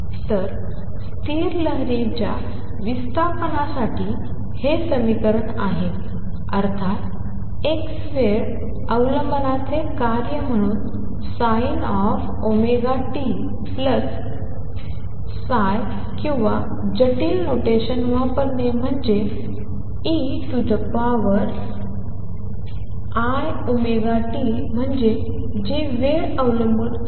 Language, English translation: Marathi, So, this is the equation for displacement of stationary wave as a function of x time dependence of course, is like sin omega t plus phi or using complex notation i e raise to i omega t that is the time dependence